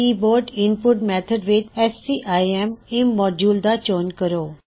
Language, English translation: Punjabi, In the Keyboard input method system, select scim immodule